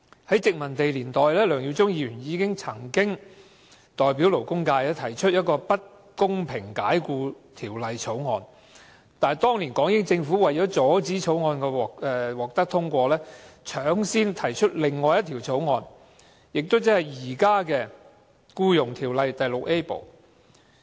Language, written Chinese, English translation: Cantonese, 在殖民地年代，梁耀忠議員曾代表勞工界提出《不公平解僱條例草案》，但當年港英政府為了阻止該法案獲得通過，搶先提出法例條文，即現時的《條例》第 VIA 部。, During the colonial era Mr LEUNG Yiu - chung once proposed an Unfair Employment Bill on behalf of the labour sector . To prevent the passage of the Bill the British Hong Kong Government took pre - emptive action to introduce certain provisions which form Part VIA of the existing Ordinance